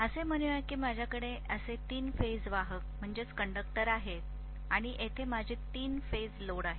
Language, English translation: Marathi, So let us say I have the three phase conductors like this and here is my three phase load